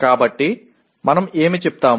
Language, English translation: Telugu, So what do we say